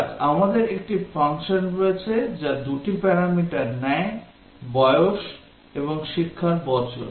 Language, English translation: Bengali, Let say, we have a function that takes two parameters age and years of education